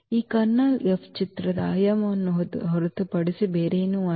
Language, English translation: Kannada, So, this kernel F is nothing but the dimension of the image F